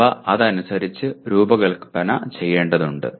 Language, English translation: Malayalam, They have to be designed accordingly